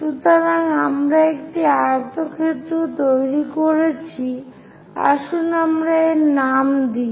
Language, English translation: Bengali, So, we have constructed a rectangle, let us name it